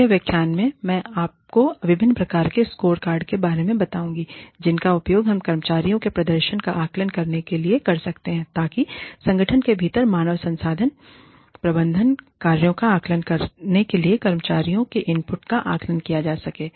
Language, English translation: Hindi, In the next lecture, i will tell you about, the different types of scorecards, we can use, in order to, assess the performance of employees, in order to, assess the inputs of the employees, in order to, assess the human resource management functions, within an organization